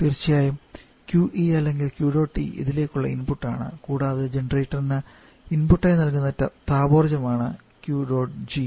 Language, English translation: Malayalam, Of course QE or Q dot E is input to this and also Q dot G is the thermal energy giving input in the generator